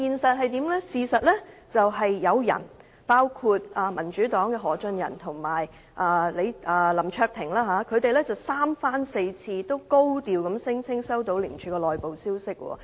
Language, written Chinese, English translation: Cantonese, 事實是有人，包括民主黨的何俊仁和林卓廷議員三番四次高調聲稱接獲廉署的內部消息。, The fact is that some people like Albert HO and Mr LAM Cheuk - ting of the Democratic Party have repeatedly claimed to have received certain internal information of ICAC